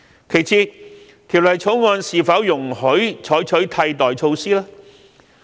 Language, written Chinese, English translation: Cantonese, 其次，《條例草案》是否容許採取替代措施呢？, Besides will alternative measures be allowed under the Bill?